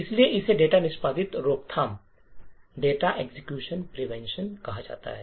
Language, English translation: Hindi, So, this is called the data execution prevention